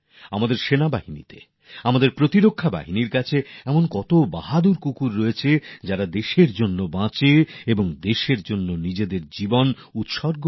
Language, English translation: Bengali, Our armed forces and security forces have many such brave dogs who not only live for the country but also sacrifice themselves for the country